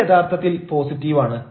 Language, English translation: Malayalam, this is, this is actually positive